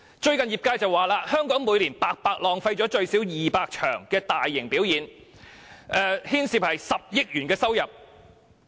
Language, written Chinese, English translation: Cantonese, 最近業界指出，香港每年白白浪費了舉行最少200場大型表演的機會，當中牽涉10億元收入。, Some trade members pointed out recently that Hong Kong had wasted the opportunities of staging at least 200 large - scale performances every year and a revenue of 1 billion was involved